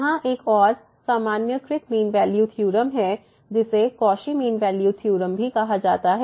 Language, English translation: Hindi, So, there is another one the generalized mean value theorem which is also called the Cauchy mean value theorem